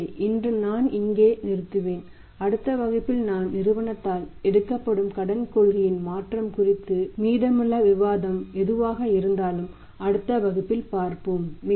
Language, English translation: Tamil, So, today I will stop here and whatever the remaining discussion regarding the change in the credit policy by the firm that we will take up in the next class, thank you very much